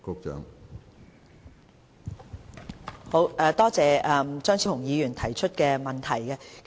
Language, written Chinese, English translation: Cantonese, 多謝張超雄議員提出的補充質詢。, I thank Dr Fernando CHEUNG for raising this supplementary question